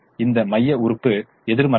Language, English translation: Tamil, this pivot element is negative